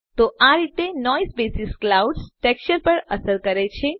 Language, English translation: Gujarati, So this is how Noise basis affects the clouds texture